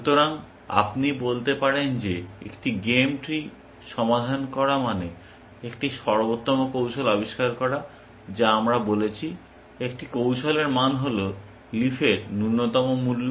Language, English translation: Bengali, So, you can say that solving a game tree, means discovering an optimal strategy we said, that the value of a strategy, is minimum of value of leaves